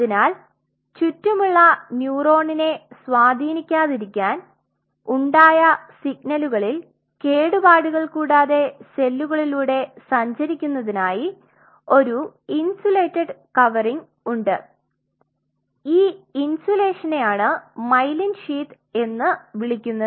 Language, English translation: Malayalam, So, as for them not to influence the surrounding neuron such that the signal which is being generated the signal fidelity remains intact and it travels through these cells have our insulated covering and that insulation is called myelin sheath